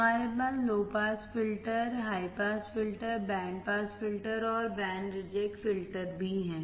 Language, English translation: Hindi, We also have low pass filters, high pass filters, band pass filters and band reject filters